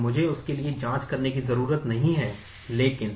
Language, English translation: Hindi, So, I do not have to check for that, but